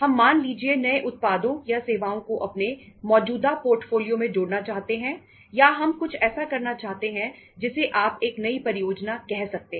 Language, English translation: Hindi, We want to have say add new products or services into our existing portfolio of the products or services or we want to do something which you call it as, term it as, as a new project